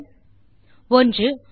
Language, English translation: Tamil, And the answers, 1